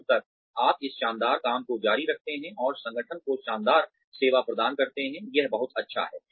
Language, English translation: Hindi, As long as, you continue doing this fabulous work and delivering fabulous service to the organization, it is great